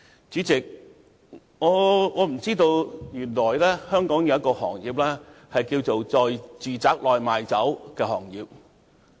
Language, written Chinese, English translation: Cantonese, 主席，我不知道原來香港有"在住宅內賣酒"這麼一個行業。, Chairman I have no idea that selling alcoholic liquor in domestic premises is a profession in Hong Kong